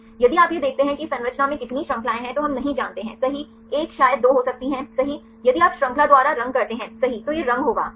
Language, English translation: Hindi, If you see this one how many chains in this structure we do not know right may be 1 maybe 2 right if you color by chain right automatically it will color right